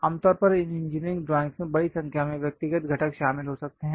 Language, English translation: Hindi, Typically these engineering drawings may contains more than 10 Lakh individual components